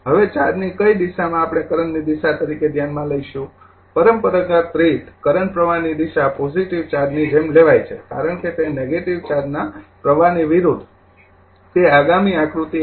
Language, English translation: Gujarati, Now, which direction of the charge we will consider the direction of the current, convention is to take the current flow as the movement of the positive charges that is opposite to the flow of negative charge is as shown in next figure 1